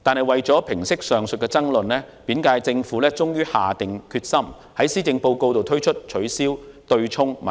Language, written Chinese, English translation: Cantonese, 為平息上述爭論，本屆政府終於下定決心，在施政報告中公布方案解決取消對沖的問題。, In order to resolve the disputes the current - term Government has finally come up with a solution to the issue of abolition of offsetting which was announced in the Policy Address